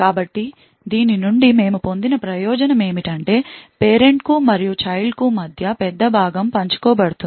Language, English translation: Telugu, So, the advantage we obtained from this is that a large portion between the parent and the child is shared